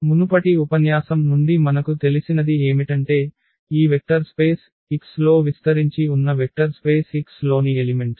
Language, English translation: Telugu, What we know from the previous lecture that once we have the elements in vector space x which span this vector space x